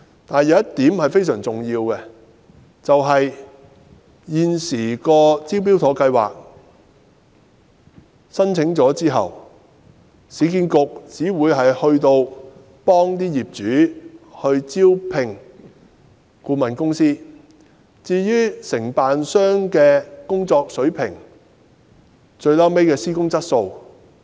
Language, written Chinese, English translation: Cantonese, 但是，有一點非常重要，就是在現時的"招標妥"計劃下，業主提交申請後，市建局只會協助業主招聘顧問公司，而不會干涉承辦商的工作水平和施工質素。, However one particular point should be noted . At present under the scheme after property owners have submitted their application URA will only assist them in engaging a consultancy firm but will not interfere with the level and quality of works carried out by contractors